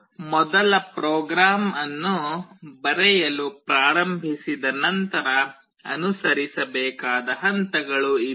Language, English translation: Kannada, These are the steps that need to be followed up once you start writing the first program